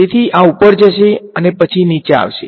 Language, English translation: Gujarati, So, this guy is going to go up and then come down over here